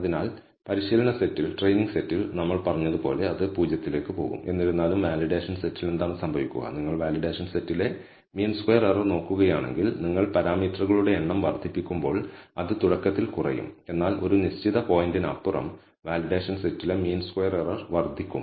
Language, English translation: Malayalam, So, it will goes to a 0 as we said on the training set; however, on the validation set what will happen is, if you look at the mean squared error on the validation set, that will initially decrease as you increase the number of parameters, but beyond a certain point the mean squared error on the validation set will start increasing